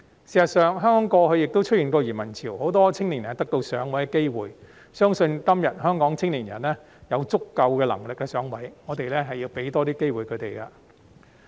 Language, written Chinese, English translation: Cantonese, 事實上，香港過去亦出現過移民潮，很多青年人得到"上位"的機會，我相信今天香港的青年人有足夠能力"上位"，我們要給予他們多一些機會。, In fact when Hong Kong experienced a wave of emigration back then many young people were given the opportunity to move up the ladder . I believe that young people in Hong Kong today are capable enough to move up the ladder and we should give them more opportunities